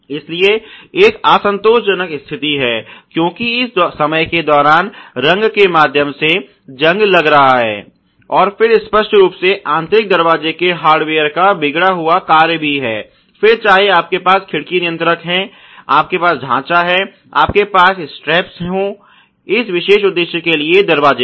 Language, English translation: Hindi, So, there is an unsatisfactory appearing appearance, because of this rusting through the paint over that a over the time, and then obviously the impaired function of the interior door hardware, you have window regulators, you have sashes, you have whether streps which are there on the door for this particular purpose ok